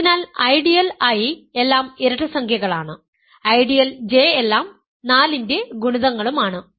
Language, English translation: Malayalam, So, the ideal I is all even integers, the ideal J is all multiples of 4